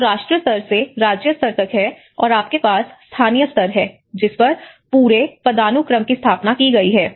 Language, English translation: Hindi, So, there is from nation level to the state level, and you have the local level that whole hierarchy has been established